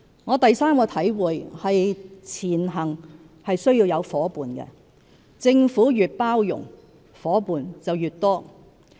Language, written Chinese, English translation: Cantonese, 我第三個體會是"前行"需要有夥伴，政府越包容，夥伴便越多。, My third realization is that we need companions as we move forward; the more inclusive the Government is the more companions it will have